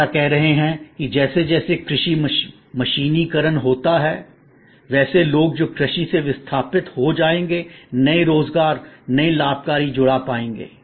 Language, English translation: Hindi, There are debates and saying that the as agriculture mechanizes, the people who will get displaced from agriculture to find new employment, new gainful engagement